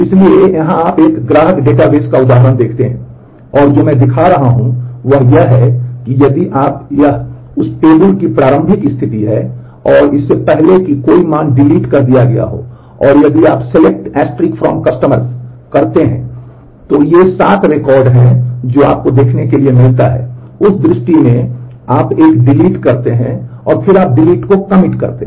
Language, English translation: Hindi, So, here you see the example of a customer database and, what I am showing is if you this is the initial state of that table and, before any value has been deleted and if you do select star from customers these 7 records is what you get to see, in view of that you do a delete and then you commit the delete